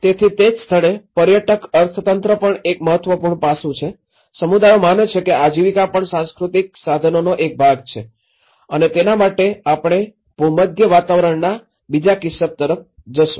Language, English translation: Gujarati, So, that is where, the tourist economy is also an important aspect, how communities have believed that the livelihood is also a part of cultural resource and will go to another case in the same Mediterranean climate